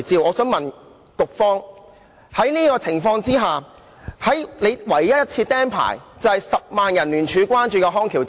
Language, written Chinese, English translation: Cantonese, 我想問局方，在這種情況之下，局方唯一一次"釘牌"的院舍就是10萬人聯署關注的康橋之家。, I want to ask the Bureau against such background the one and only revocation of licence was issued to Bridge of Rehabilitation the very care home against which 100 000 people jointly petitioned